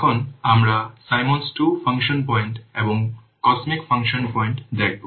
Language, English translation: Bengali, Now we'll see this Simmons Mark II function point and cosmic function points